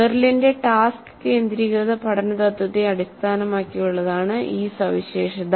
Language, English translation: Malayalam, This feature is based on Merrill's task centered principle of learning